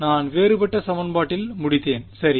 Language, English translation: Tamil, I ended up with the differential equation right